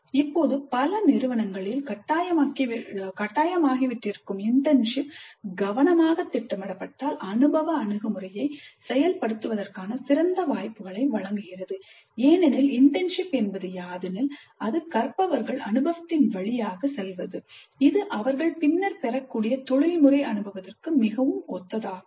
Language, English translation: Tamil, Internships which now have become mandatory in many institutes if planned carefully provide great opportunities for implementing experiential approach because internship in some sense is actually the learners going through experience which is quite similar to the professional experience that they are likely to get later